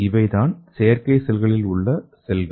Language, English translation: Tamil, And this is the cells in the artificial cells